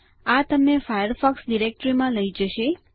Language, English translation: Gujarati, This will take you to the Firefox directory